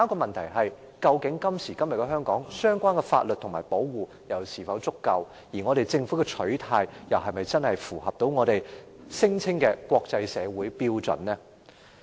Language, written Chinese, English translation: Cantonese, 然而，在今時今日的香港，相關法例和保護措施是否足夠，而政府的取態又是否符合我們聲稱的國際社會標準？, Nonetheless in present - day Hong Kong are the relevant legislation and safeguards adequate? . Is the Governments attitude in line with what we call the standards of the international community?